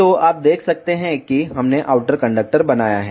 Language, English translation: Hindi, So, you can see here we have made outer conductor